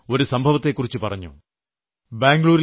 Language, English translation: Malayalam, She has made me aware of an incident